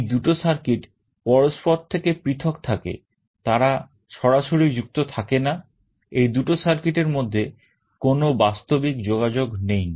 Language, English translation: Bengali, These two circuits are isolated, they are not directly connected; there is no physical connection between these two circuits